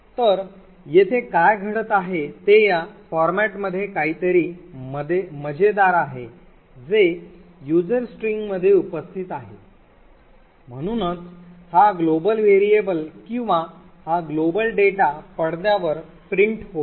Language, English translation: Marathi, So what is happening over here is that the something fishy going on in this format specifier present in user string so that somehow this global variable or this global data gets printed on the screen